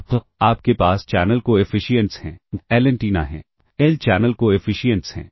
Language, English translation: Hindi, Now, you have the channel coefficient since there L antennas there are L channel coefficient